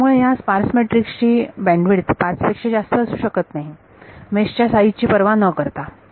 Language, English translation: Marathi, So, the bandwidth of this sparse matrix can never exceed 5 regardless of the size of the mesh